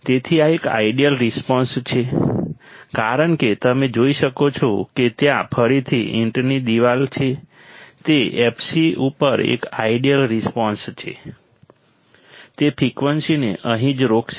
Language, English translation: Gujarati, So, this is an ideal response as you can see there is again of brick wall, it is a ideal response exactly at f c, it will stop the frequencies right here